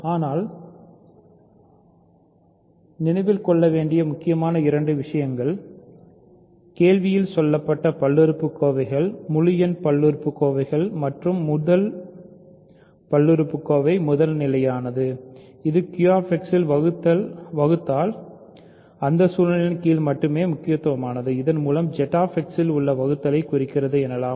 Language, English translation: Tamil, But the important two things to remember; both polynomials in question are integer polynomials and the first polynomial is primitive that is very important only under that situation division in Q X implies division in f x, sorry division in Q X implies division in Z X